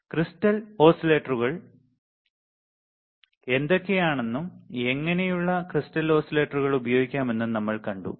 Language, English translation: Malayalam, We have then seen what are the crystal oscillators, and how what are kind of crystal oscillators that can be used